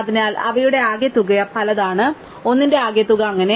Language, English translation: Malayalam, So, some of them have many, sum of them have one and so on